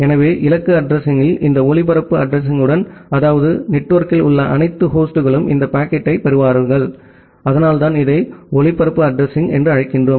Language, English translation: Tamil, So, with this broadcast address at the destination address, that means, all the host in that network will get that packet, so that is why we call it as a broadcast address